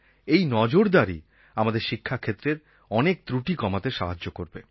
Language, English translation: Bengali, Vigilance can be of help to reduce many shortcomings in the education system